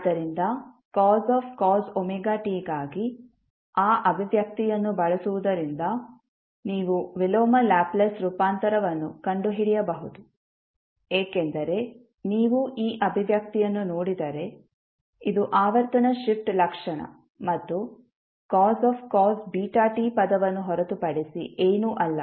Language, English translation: Kannada, So, using that expression for cos omega t that is you can find out the inverse Laplace transform because, if you see this expression, this is nothing but the frequency shift property plus the cos beta t term